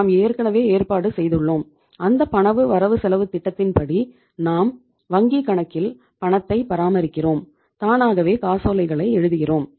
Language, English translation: Tamil, We have already made the provision and we are sure that according to that cash budget we are maintaining the cash in the bank account and automatically we are writing the cheques